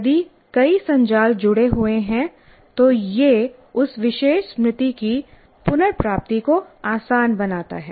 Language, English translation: Hindi, The more number of networks it gets associated, it makes the retrieval of that particular memory more easy